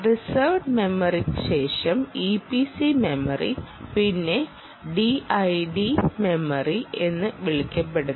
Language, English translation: Malayalam, then there is something called after reserved memory and e p c memory there something called t i d memory